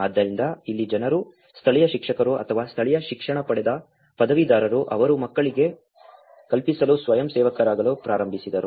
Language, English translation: Kannada, So, here then people, the local teachers or the local educated graduates, they started volunteering themselves to teach to the children